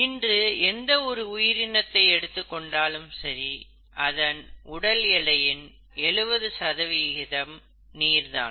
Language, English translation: Tamil, If you were to look at any living organism as of today, we all know that our, seventy percent of our body weight is made up of water